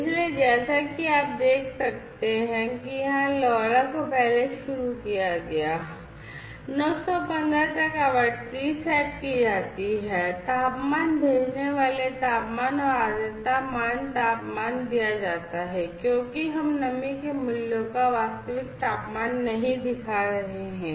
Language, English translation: Hindi, So, as you can see over here LoRa is initialized first, frequency set up to 915, temperature sending temperature and humidity values temperature is given so because you know so we are not showing the actual temperature of the humidity values